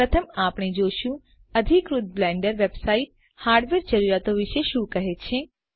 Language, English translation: Gujarati, First Up, we shall look at what the official Blender website has to say about the hardware requirements